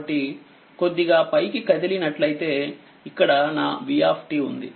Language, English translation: Telugu, So, if we move little bit a little bit up right this vt